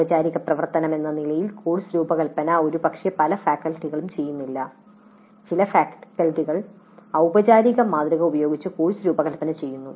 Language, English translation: Malayalam, Course design as a formal activity probably is not done by many faculty though some faculty do design the courses using a formal model but it may not be that commonly practiced in major of the institutes